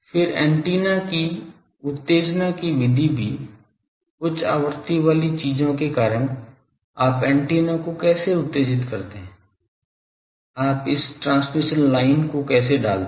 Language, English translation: Hindi, Then also the method of excitation of the antenna, because for high frequency things, how you excite the antenna, how you put this transmission line